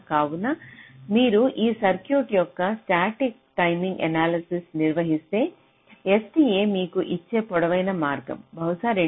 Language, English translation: Telugu, so if you carry out static timing analysis of this circuit, then the longest path that s t a will give you is probably this: two hundred